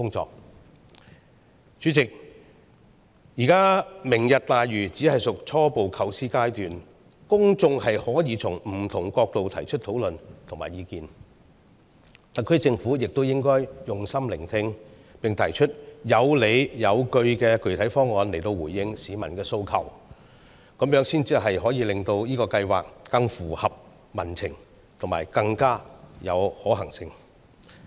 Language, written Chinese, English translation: Cantonese, 代理主席，現時"明日大嶼"只屬初步構思階段，公眾可以從不同角度討論和提出意見，特區政府也應該用心聆聽，並提出有理有據的具體方案來回應市民的訴求，這樣才可以使這個計劃更合乎民情和更有可行性。, Members of the public can discuss it and express their views from different angles . The SAR Government should also listen carefully to them and put forward justified and specific proposals to address public aspirations . Only in so doing can it make this project more responsive to public sentiment and more feasible